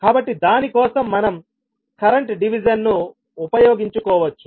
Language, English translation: Telugu, So for that we can simply utilize the current division